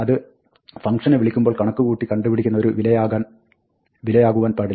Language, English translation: Malayalam, It cannot be something which is calculated, when the function is called